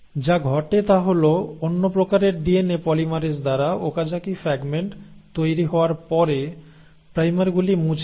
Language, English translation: Bengali, So what happens is the primers get removed after the Okazaki fragments have been formed by another type of DNA polymerase